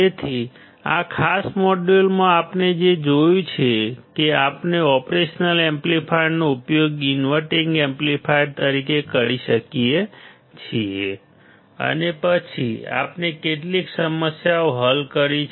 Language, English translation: Gujarati, So, what we have seen in this particular module is that we have seen that we can use the operation amplifier; as an inverting amplifier and then we have solved few problems